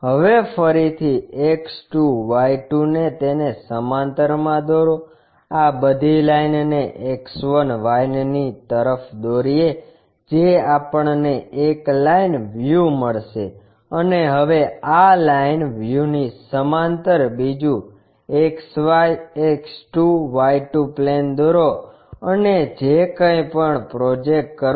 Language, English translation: Gujarati, Now, draw X 2, Y 2 again parallel to this project all this line to X 1, Y 1 which we will get a line view and now, draw another XY X 2, Y 2 plane parallel to this line view and project whatever the new view we got it